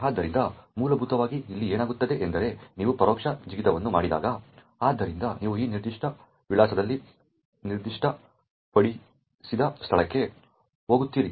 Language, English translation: Kannada, So, essentially what is going to happen here is when you make an indirect jump, so you jump to a location specified at this particular address